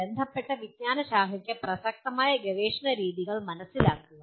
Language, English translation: Malayalam, Understand the research methods relevant to the discipline of concern